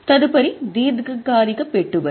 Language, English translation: Telugu, Next is investment long term